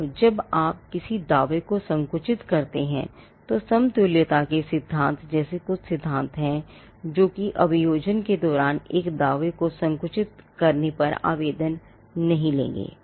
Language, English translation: Hindi, Now when you narrow down a claim, there are some principles like the doctrine of equivalence, which will not have an application when you narrow down a claim in the course of prosecution